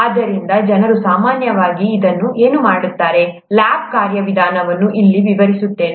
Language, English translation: Kannada, So what people normally do, let me describe the lab procedure here